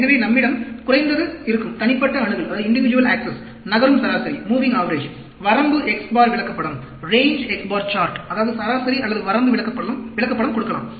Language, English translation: Tamil, So, we can have low, individual access, moving average, range x bar chart, that means, average, or you can give range chart